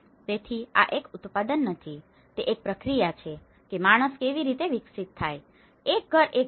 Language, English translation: Gujarati, So, this is not a product, it is a process how man evolves, a house into a home